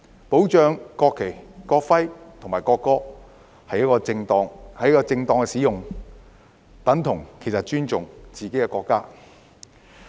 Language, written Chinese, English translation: Cantonese, 保障國旗、國徽和國歌的正當使用其實等同尊重自己的國家。, Safeguarding the proper use of the national flag national emblem and national anthem is essentially equivalent to respecting ones own country